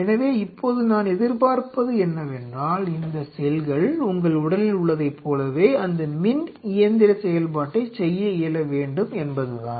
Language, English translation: Tamil, So, these cells I expect now they should be able to do that electro mechanical activity, similar to that of in your body